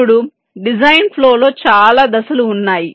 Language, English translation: Telugu, there are many steps in this design flow